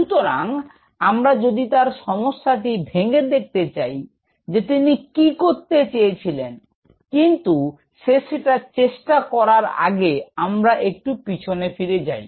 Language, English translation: Bengali, So, if we break up this problem what he was trying to do, but before what is trying to do let us go back a little